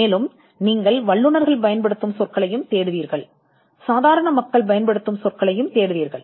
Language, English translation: Tamil, And you would also look at words used by experts, as well as words used by laymen